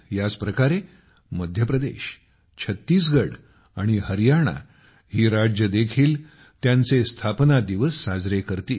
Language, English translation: Marathi, Similarly, Madhya Pradesh, Chhattisgarh and Haryana will also celebrate their Statehood day